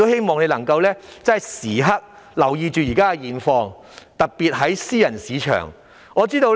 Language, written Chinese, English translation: Cantonese, 我亦希望政府時刻留意現況，特別是私人市場的情況。, I also hope that the Government will keep in view of the current situation especially the situation in the private market